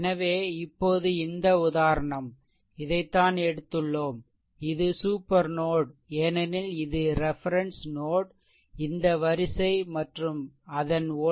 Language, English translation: Tamil, And so now, this example; your what you call this is actually taken, it is a supernode because this is your this is your reference node this row and its voltage is v 0 is equal to 0